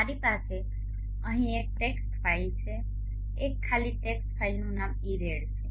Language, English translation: Gujarati, I have here a text file blank text file I am renaming it as IRRAT